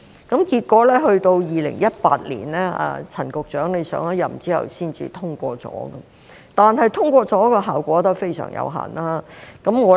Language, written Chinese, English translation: Cantonese, 結果到2018年，陳局長上任之後才獲得通過，但通過的效果仍然非常有限。, It was only in 2018 after Secretary CHAN had taken office that the bill was passed but the effect of its passage was still very limited